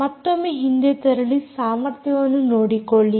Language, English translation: Kannada, again, go back and look at the capabilities